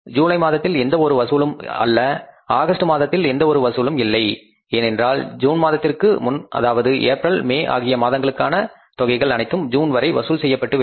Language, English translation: Tamil, So, it means in the month of June and nothing in the month of July, nothing in the month of August because all the sales up to June previous month that is April and May they stand collected till the month of June